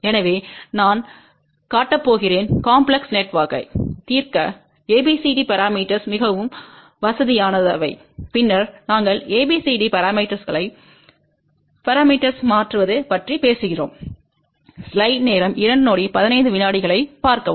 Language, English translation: Tamil, So, I am going to show you how ABCD parameters are very convenient to solve a complex network, and then we will talk about how ABCD parameters can be converted to S parameters